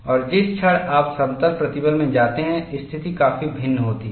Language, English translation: Hindi, And the moment you go to plane stress, the situation is quite different